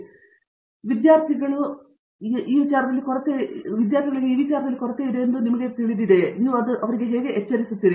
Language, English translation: Kannada, I mean, how do you alert the student that you know their sort of deficient in these